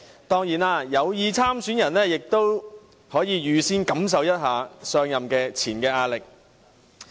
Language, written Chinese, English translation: Cantonese, 當然，有意參選的人可以預先感受一下上任前的壓力。, Of course those intending to stand in the election may now get a sense of the pressure on them before assuming office